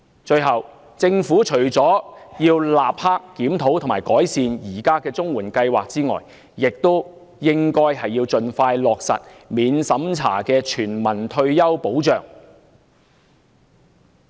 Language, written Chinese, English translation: Cantonese, 最後，政府除了應立即檢討及改善現時的綜援計劃外，亦應盡快落實免審查的全民退休保障。, Lastly apart from immediately reviewing and improving the existing CSSA Scheme the Government should also implement a non - means - test universal retirement protection scheme as soon as possible